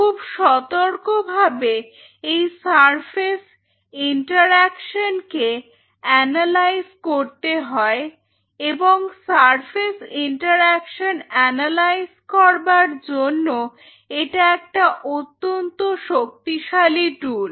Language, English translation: Bengali, So, one needs to analyze this surface interactions very carefully and for surface analysis one of the most powerful tool